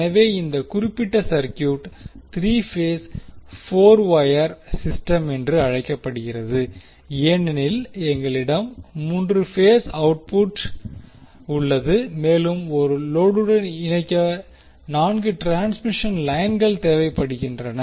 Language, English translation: Tamil, So, this particular set of circuit is called 3 phase 4 wire system because we have 3 phase output and 4 transmission lines are required to connect to the load